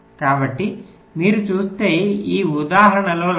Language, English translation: Telugu, so like in this example, if you look at